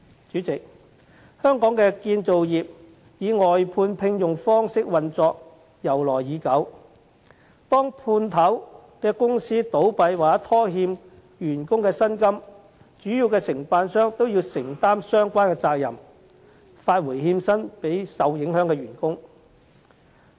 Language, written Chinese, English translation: Cantonese, 主席，香港的建造業以外判聘用方式運作由來已久，當判頭公司倒閉或拖欠員工薪金時，主要承辦商都要承擔相關責任，發回欠薪予受影響的員工。, President the construction industry of Hong Kong has for a long time adopted the practice of outsourcing . In the event of the subcontractor winding up or defaulting on payment of employees wages the contractor has to take up the responsibility and pay the defaulted wages to the affected employees